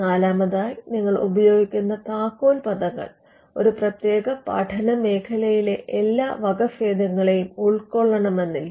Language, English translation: Malayalam, Fourthly the keywords that you use may not cover all or capture all the variants in that particular field